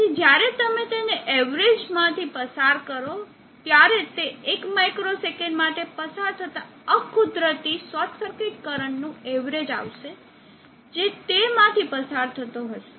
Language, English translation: Gujarati, So when you pass it through as averager it will average out that for that one micro second the unnatural short circuit current that will flow through this